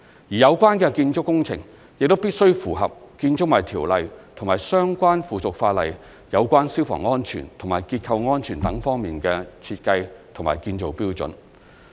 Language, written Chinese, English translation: Cantonese, 有關建築工程亦必須符合《建築物條例》及其相關附屬法例有關消防安全及結構安全等方面的設計和建造標準。, The building works must also meet the design and construction standards on fire and structural safety under the Buildings Ordinance and its relevant subsidiary legislation